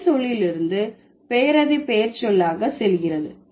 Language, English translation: Tamil, It goes from the verb to the adjective